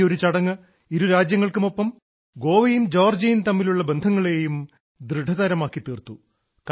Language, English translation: Malayalam, This single ceremony has not only strengthened the relations between the two nations but as well as between Goa and Georgia